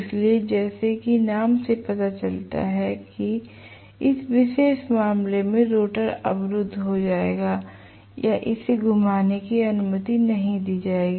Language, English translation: Hindi, So, as the name indicates in this particular case rotor will be blocked or it will not be allowed to rotate